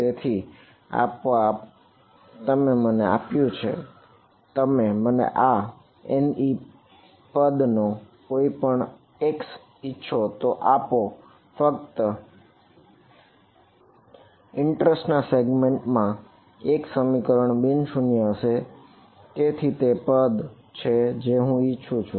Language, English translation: Gujarati, So, it automatically you give me the correct give me any x you want of these N e terms only one expression will be non zero in the segment of interest and that is the term that I want